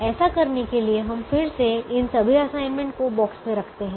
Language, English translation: Hindi, we again put all these assignments in the boxes